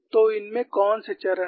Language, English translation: Hindi, So, what are the stages in this